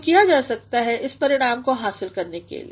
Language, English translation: Hindi, So, what can be done in order to achieve this effect